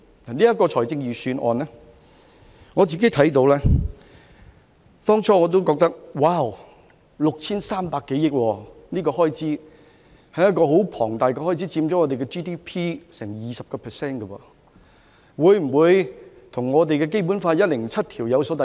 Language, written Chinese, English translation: Cantonese, 對於這次的預算案，我當初看到也譁然 ，6,300 多億元是很龐大的開支，佔香港 GDP 多達 20%， 會否與《基本法》第一百零七條有所抵觸？, With regard to this Budget I was shocked when I first read it for some 630 billion is a huge amount of expenditure accounting for as much as 20 % of the Gross Domestic Product or GDP . So will it constitute a breach of Article 107 of the Basic Law? . It is because under this Article the principle is to keep expenditure within the limits of revenues